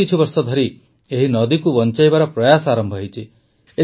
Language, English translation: Odia, Efforts have started in the last few years to save this river